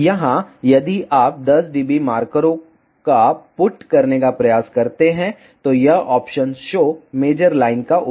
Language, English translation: Hindi, Here, if you try to put the 10 dB markers use this option show measure line